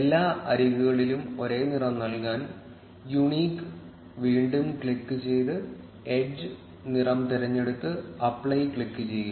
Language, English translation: Malayalam, If we want to give the same color to all the edges, click back on unique and select the edge color and then click on apply